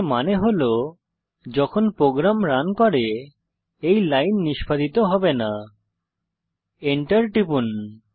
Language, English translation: Bengali, This means, this line will not be executed while running the program